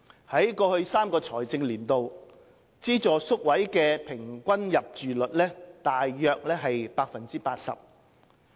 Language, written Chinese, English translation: Cantonese, 在過去3個財政年度，資助宿位的平均入住率約為 80%。, In the past three financial years the average utilization rate of subvented places was about 80 %